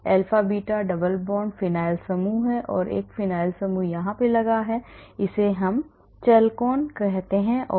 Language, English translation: Hindi, alpha, beta double bond there is phenyl group there is another phenyl group here this is called chalcone